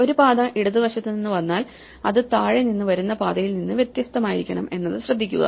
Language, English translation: Malayalam, Notice that if a path comes from the left it must be different from a path that comes from below